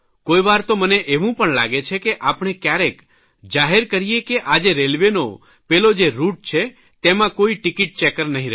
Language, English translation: Gujarati, Sometimes I feel that we should publicly announce that today on this route of the railways there will be no ticket checker